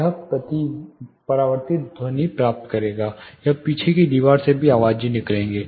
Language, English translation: Hindi, He will get reflected sound, he will get reflected sound; he will also get things from the rear wall